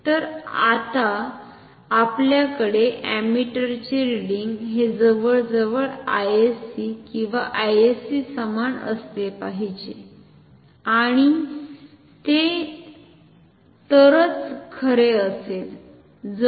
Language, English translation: Marathi, So, now the ammeter reading we want this to be close to I sc or same as I sc ideally and that will be true only if